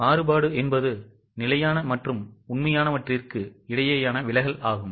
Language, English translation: Tamil, Variance is a deviation between standard and actual